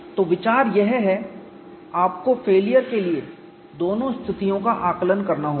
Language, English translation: Hindi, So, the idea is, you have to assess both the conditions for failure